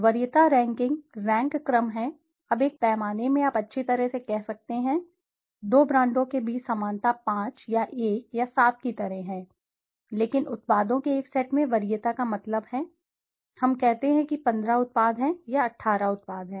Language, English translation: Hindi, Preference rankings are rank orderings, now in a scale you could say well, the similarity between two brands are like 5 or 1 or 7 but preference means in a set of products, let us say there are 15 products, or 18 products